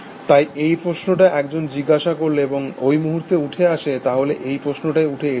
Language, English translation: Bengali, So, the question that one ask is, and will come to that in a moment, so this is the question which has raised